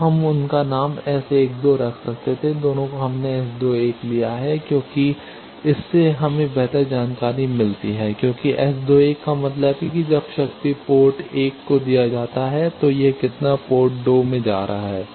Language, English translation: Hindi, Now we could have named them S 12, both we have taken S 21 both because that gives us better insight that because S 21 means when power is given to port 1 how much it is going to port 2